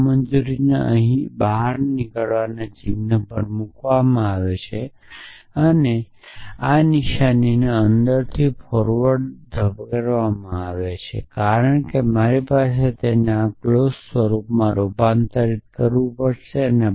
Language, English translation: Gujarati, The negation of that put on negation sign outside here I will have to push the negation sign inside, because I have to convert it into this clause form